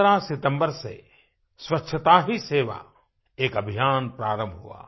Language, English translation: Hindi, A movement "Swachhta Hi Sewa" was launched on the 15thof September